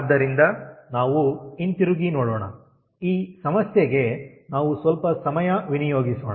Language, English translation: Kannada, so let us go back, let us spend some time on this problem